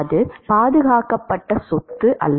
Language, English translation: Tamil, That is not the conserved property